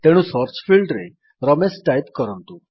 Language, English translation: Odia, So typeRamesh in the Search For field